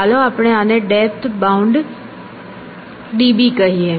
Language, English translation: Gujarati, And let us say this a depth bound d b